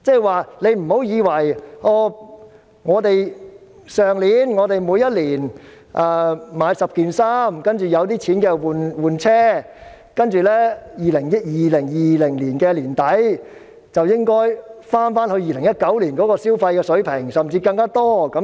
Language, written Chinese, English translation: Cantonese, 換言之，以往我們每年買10件衣服、有錢便換車，但現在我們不應再想2020年年底回到甚至超越2019年的消費水平。, In other words we might previously purchase 10 pieces of clothing each year and buy a new car when we had the means . Nowadays however we must not expect our level of consumption in late 2020 to return to or even exceed the level in 2019